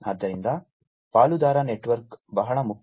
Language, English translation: Kannada, So, partner network is very important